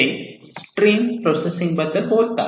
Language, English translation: Marathi, So, here they are talking about stream processing